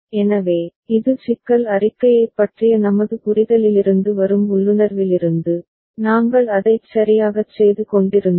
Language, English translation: Tamil, So, that is from the intuition that is from our understanding of the problem statement, we were doing it right ok